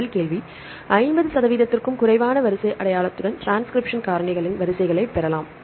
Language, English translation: Tamil, The first question is obtain the sequences of transcription factors with less than 50 percent sequence identity